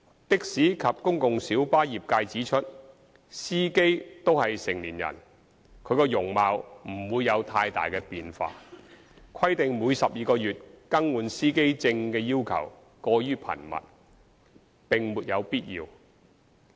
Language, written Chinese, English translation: Cantonese, 的士及公共小巴業界指出司機均屬成年人，其容貌不會有太大變化，規定每12個月更換司機證的要求過於頻密，並沒有必要。, The taxi and PLB trades have pointed out that as drivers of taxis and PLBs are all adults their appearances will not change significantly and so it is not necessary to require driver identity plates to be renewed every 12 months which is too frequent